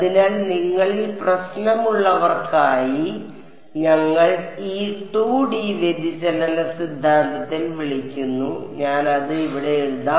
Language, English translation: Malayalam, So, for those of you who are having trouble we call in this 2D divergence theorem I will just write it over here